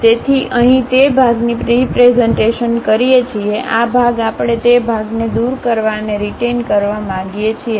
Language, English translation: Gujarati, So, here that part we are representing; this part we want to remove and retain that part